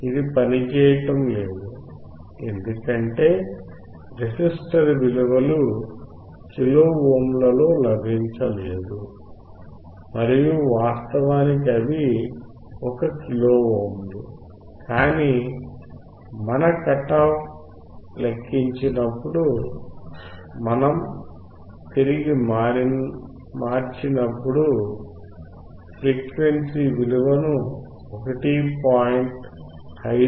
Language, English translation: Telugu, It was not working because the resistors value were not get that in kilo ohm and in fact, they were 1 kilo ohms, but when we converted back to when we when we calculated our cut off frequency value then we found that the fc value is about 1